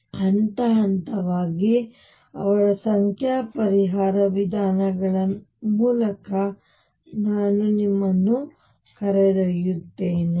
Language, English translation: Kannada, So, let me take you through he numerical solution procedures step by step